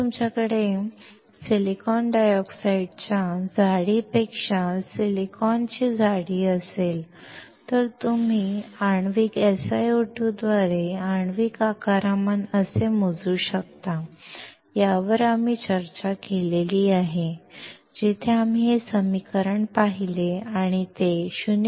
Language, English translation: Marathi, If you have thickness of silicon over thickness of silicon dioxide, we discussed how you can measure the molecular volume by molecular SiO2 where we saw this equation and found that it equal to 0